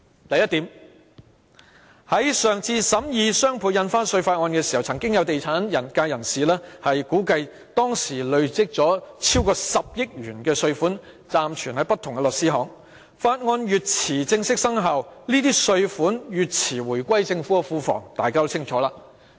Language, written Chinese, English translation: Cantonese, 第一，在上次審議"雙倍印花稅"法案時，曾有地產界人士估計，當時累積超過10億元稅款暫存於不同的律師行，《條例草案》越遲正式生效，這些稅款越遲回歸政府庫房，這點大家都清楚。, First during the scrutiny of the bill on DSD some members of the property sector estimated that the amount of stamp duty temporarily kept in law firms has accumulated to over 1 billion . Any delay in the formal commencement of the Bill will affect the return of the tax to the Treasury . We all know this clearly